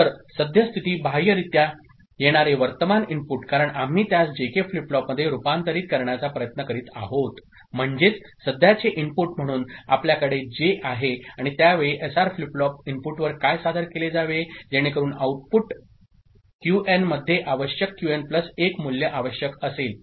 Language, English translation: Marathi, So, the current state; current inputs that is coming from external externally, because we are trying to convert it to a JK flip flop ok, so that is what we are having as current input; and at that time what should be presented at SR flip flop input, so that required change in the output Qn, required Qn plus 1 value appears at the output is it fine